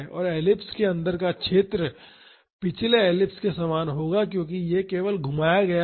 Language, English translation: Hindi, And, the area inside the ellipse will be same as the previous ellipse; because this is only get rotated